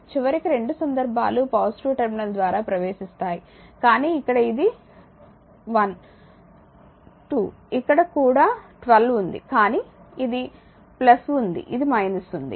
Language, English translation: Telugu, So, ultimately both the cases current entering through the positive terminal, but here it is 1 2 here also 1 2, but this has been in plus this has been in minus